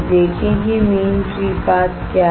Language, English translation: Hindi, See what is mean free path